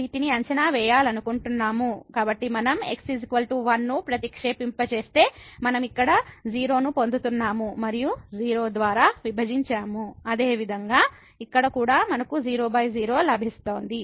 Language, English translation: Telugu, So, if we substitute is equal to simply we are getting here and divided by; similarly here as well we are getting divided by